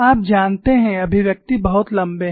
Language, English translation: Hindi, You know, the expressions are very, very long